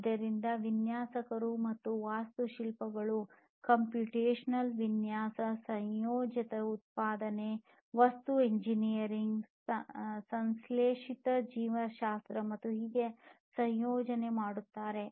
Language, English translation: Kannada, So, designers and architects are, now, combining, computational design, additive manufacturing, material engineering, synthetic biology and so on